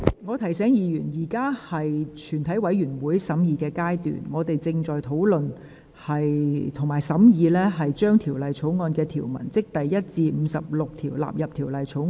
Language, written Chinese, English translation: Cantonese, 我提醒委員，現在是全體委員會審議階段，本會正在討論和審議將第1至59條以及附表1及2納入《條例草案》。, I remind Members that the Council is now in committee of the whole Council to discuss and consider whether clauses 1 to 59 as well as Schedules 1 and 2 shall stand part of the Bill